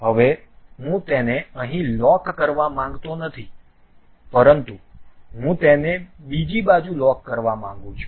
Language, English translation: Gujarati, Now, I do not want to really lock it here, but I want to lock it on the other side